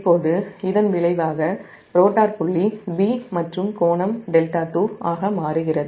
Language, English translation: Tamil, now result is that the rotor swings to point b and the angle delta two